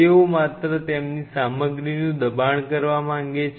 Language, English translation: Gujarati, They just wanted to push their stuff